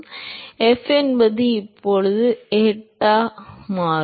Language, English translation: Tamil, So, f is now a function of eta and